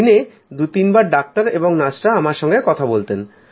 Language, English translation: Bengali, Twice or thrice a day, doctors would speak to me…nurses too